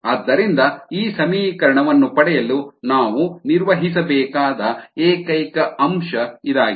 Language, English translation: Kannada, so this is the only term that we need to handle to be to get an handle on this equation